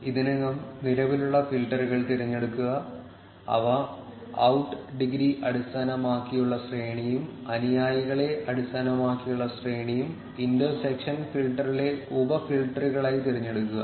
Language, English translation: Malayalam, Select the already existing filters, which is range based on out degree and range based on followers as the sub filters in the intersection filter